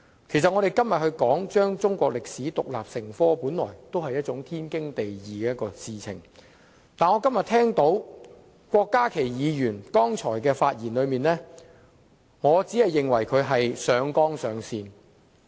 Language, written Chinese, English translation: Cantonese, 其實，我們今天討論將中國歷史科獨立成科，本來就是天經地義的事情，但聽了郭家麒議員剛才的發言，我認為他只是上綱上線。, In fact our discussion today on requiring the teaching of Chinese history as an independent subject is perfectly justified but having heard the speech of Dr KWOK Ka - ki just now I think he is merely being hyperbolic